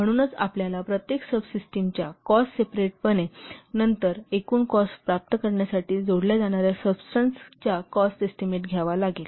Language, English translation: Marathi, So you have to estimate the cost of each subsystem separately, individually, then the cost of the subsystems they are added to obtain the total cost